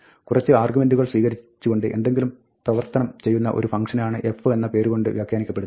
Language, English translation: Malayalam, It says, the name f will be interpreted as a function which takes some arguments and does something